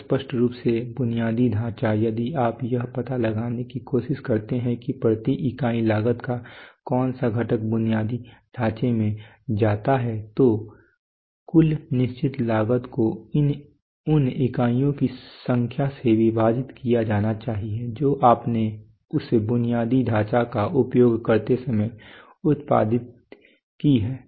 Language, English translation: Hindi, So obviously the infrastructure cost is if you if you if you try to find that per unit cost what component goes to the infrastructure then the total fixed cost must be divided by the number of units that you have produced while that infrastructure was used so